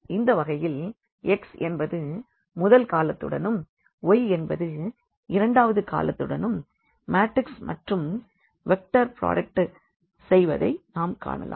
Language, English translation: Tamil, So, we can also look into in this form that this x is multiplied to this first column, y is multiplied to this second column that is a way we also do the product of this matrix and the vector